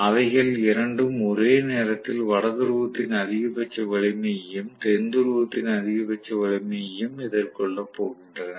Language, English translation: Tamil, Both of them are going to face the maximum strength of North Pole and maximum strength of South Pole at the same instant